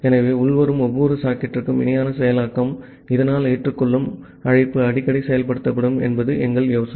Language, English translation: Tamil, So, our idea is that the parallel processing of each incoming socket, so that the accept call is executed more frequently